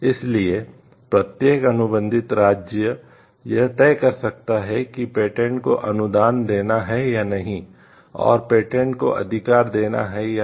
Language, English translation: Hindi, So, each contracting state can decide on whether to grant the patent or not to grant the patent right and